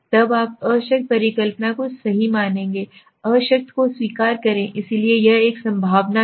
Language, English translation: Hindi, Then you will accept the null hypothesis right; accept the null, so it is a probability